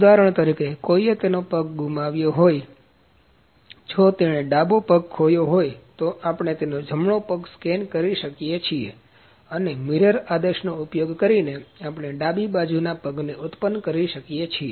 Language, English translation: Gujarati, If for instance someone has lost his limb if it is he has lost his left leg, but we can, we can just scan his right leg and by using mirror command we can produce the left, leg this can also happen